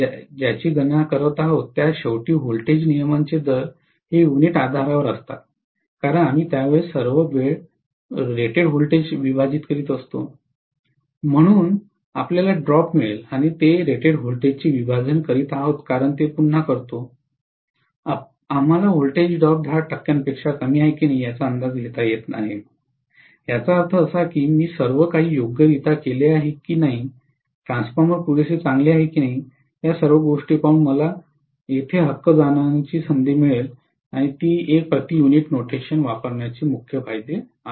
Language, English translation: Marathi, So voltage regulation at the end of what we are calculating is on a per unit basis because we are dividing it by rated voltage all the time, so we get the drop and we are dividing it by rated voltage because we do that again, we are able to get an estimate whether the voltage drop is less than 10 percent, that means whether I have done everything correctly or whether the transformer is good enough, all these things I would be able to get a feel for right by observing, that is one of the major advantages of using per unit notation